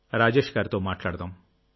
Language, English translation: Telugu, So let's talk to Rajesh ji